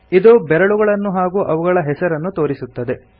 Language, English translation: Kannada, It displays the fingers and their names